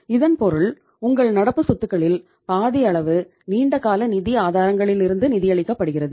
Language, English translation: Tamil, It means half of your current assets are being funded from the long term sources of funds